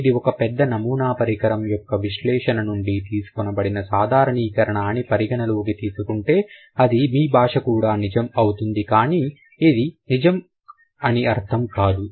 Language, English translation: Telugu, Considering it's been a generalization which has been drawn from the analysis of a big sample size, very likely it is going to be true for your language too, but that doesn't mean that it must be true